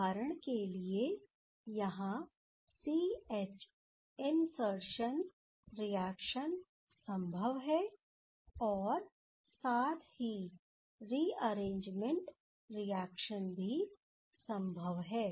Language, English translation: Hindi, As for example, there C H insertion reactions are possible as well as the rearrangement reactions also possible